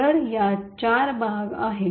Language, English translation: Marathi, So, it comprises of four parts